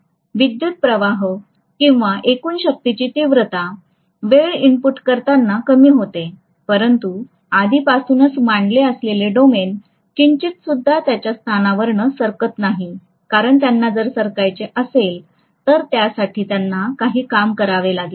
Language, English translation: Marathi, What is happening is, the intensity of the current or the total power the time inputting decreases, but already aligned domains are not going to budge from their positions because if they have to budge, they have to do some work